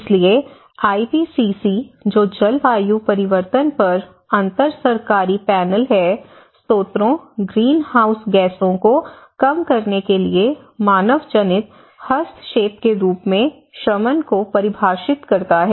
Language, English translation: Hindi, So, the IPCC which is the Intergovernmental Panel on Climate Change defines mitigation as an anthropogenic intervention to reduce the sources or enhance the sinks of greenhouse gases